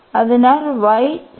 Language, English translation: Malayalam, So, y is 0